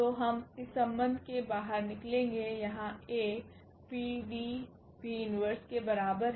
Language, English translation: Hindi, So, we will get out of this relation here A is equal to PD and P inverse